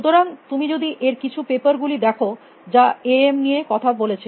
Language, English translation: Bengali, So, if you look at some those papers, which talk about A M